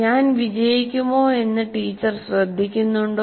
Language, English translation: Malayalam, Does the teacher care whether I succeed